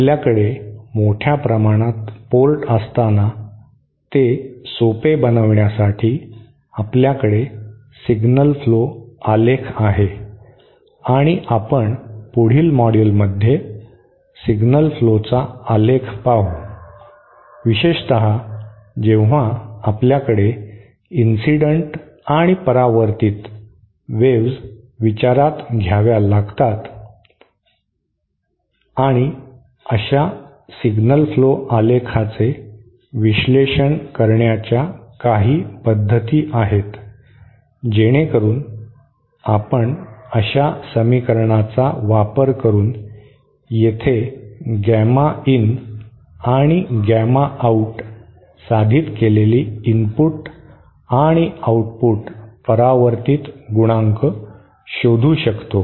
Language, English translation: Marathi, So in order to make life simpler when we have a large number of ports we there is a packing called signal flow graph, and as we shall see in the next module the signal flow graph significantly reduce the complexity of the signal flow especially when we have incident and reflected waves to consider and there are some methods to analyze such signal flow graph diagrams, so that we can find out these say gamma in or gamma out the input and output reflection coefficient which we have derived here using equations you can use simply use a signal flow graph to find it much quickly so that is something we will discuss in the next module